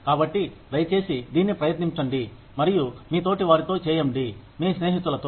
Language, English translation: Telugu, So, please try and do this with your peers, with your friends